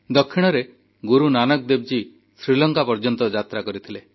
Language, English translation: Odia, It is believed that Guru Nanak Dev Ji had halted there